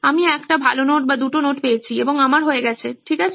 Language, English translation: Bengali, I get one good notes or two number of notes and I am done right